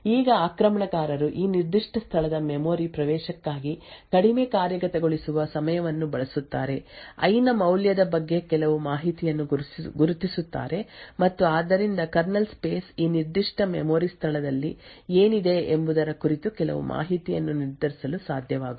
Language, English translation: Kannada, Now the attacker would use this lower execution time for memory access of this particular location, identify some information about the value of i and therefore be able to determine some information about what was present in this specific memory location in the kernel space